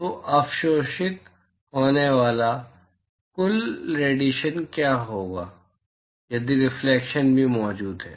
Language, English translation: Hindi, So, what will be the total radiation that is absorbed, if reflection is also present